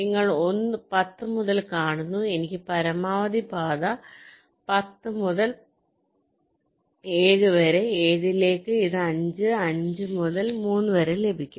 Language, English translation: Malayalam, you see, from ten i can get a maximum path ten to seven, seven to this, this to five, five to three